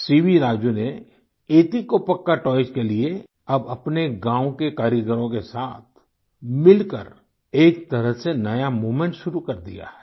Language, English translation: Hindi, C V Raju has now started a sort of a new movement for etikoppakaa toys along with the artisans of his village